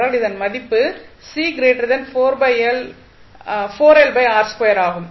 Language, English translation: Tamil, We can utilize that value